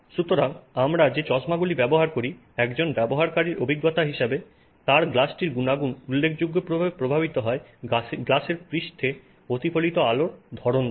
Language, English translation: Bengali, So, eye glasses that we wear, often the quality of the glass as a user experience is significantly impacted by what light is reflected by the surface of the glass